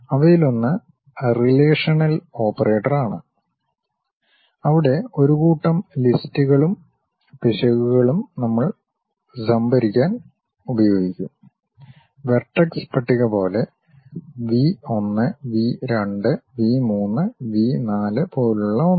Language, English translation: Malayalam, One of them is relational operators, where a set of lists and errors we will use it to store; something like what are the vertex list, something like V 1, V 2, V 3, V 4